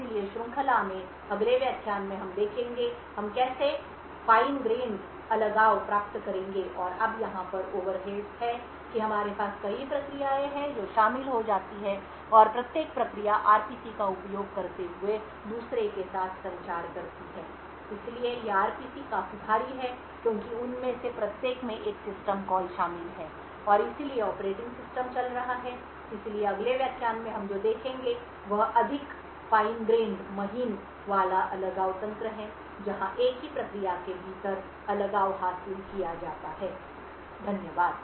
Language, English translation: Hindi, So in the next lecture in the series, we will see how we would get finer grained isolation, now the over heads over here is that we have several processes that get involved and each process communicates with the other using RPCs, so these RPCs are quite heavy because each of them involve a system call and therefore have the operating system running, so in the next lecture what we would see is more fine grained isolation mechanisms where isolation is achieved within a single process, thank you